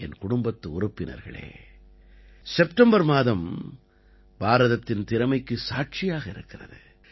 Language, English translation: Tamil, My family members, the month of September is going to be witness to the potential of India